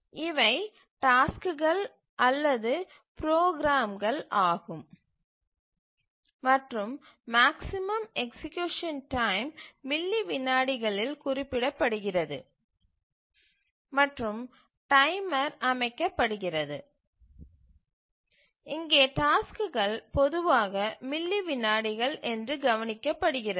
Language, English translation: Tamil, These are the tasks or the programs to run and the maximum execution time is mentioned in milliseconds and the timer is set and just observe here that the tasks are typically the time is in milliseconds